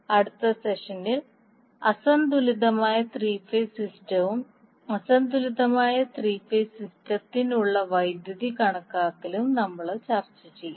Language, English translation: Malayalam, In the next session, we will discuss unbalanced three phase system and the calculation of power for the unbalanced three phase system